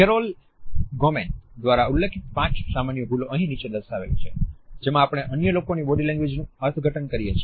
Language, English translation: Gujarati, The five common mistakes which have been referred to by Carol Goman can be listed over here, which we tend to make in interpreting body language of other people